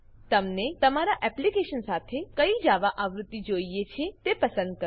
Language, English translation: Gujarati, Select the version of Java you want to use with your application